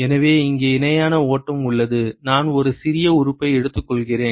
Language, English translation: Tamil, So, here is the parallel flow, I take a small element